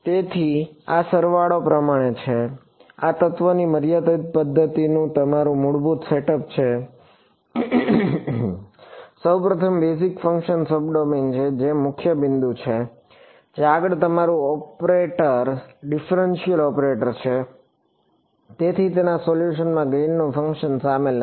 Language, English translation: Gujarati, So, this is sort to the sum it up this is your basic setup of finite of element method is that; first of all the basis functions are sub domain that is a key point next your operator is a differential operator therefore, there is no Green’s function involved in its solution